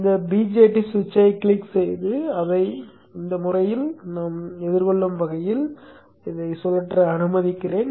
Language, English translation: Tamil, Let me click on this BJT switch and let me rotate it in such a way that it is facing in this fashion